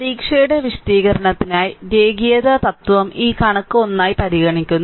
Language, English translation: Malayalam, So, for the purpose of the exam explaining, the linearity principle is consider this figure 1 right